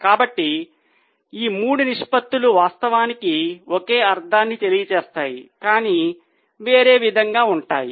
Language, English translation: Telugu, So, all these three ratios actually were essentially same, conveying the same meaning but in a different way